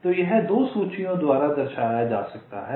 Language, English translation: Hindi, so this can be represented by two lists, top and bottom